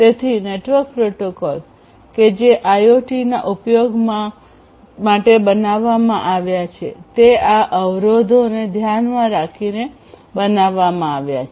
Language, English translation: Gujarati, So, network protocols that are designed for use in IoT should be designed accordingly keeping these constraints in mind